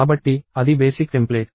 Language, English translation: Telugu, So, that is the basic template